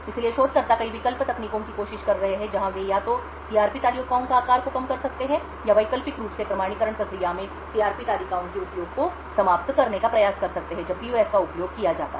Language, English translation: Hindi, So researchers have been trying several alternate techniques where they could either reduce the size of the CRP tables or alternatively try to eliminate the use of CRP tables in the authentication process when PUFs are used